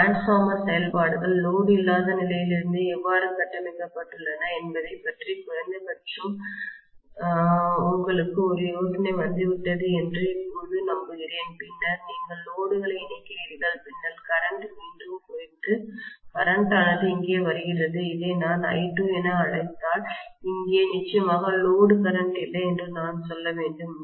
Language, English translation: Tamil, Now I hope so that you at least got an idea of how really the transformer functioning is built up right from the no load condition then you connect the load, then the current bounces back and that current what comes here so if I call this as I2 I should say definitely there is no load current here